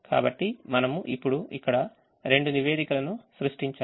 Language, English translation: Telugu, so we have now created two reports which are here